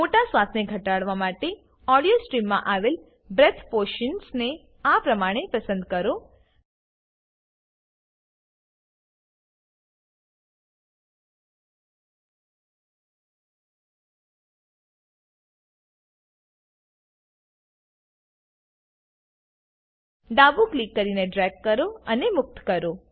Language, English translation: Gujarati, To reduce loud breaths, select the breath portion in the audio stream by left clicking, dragging and releasing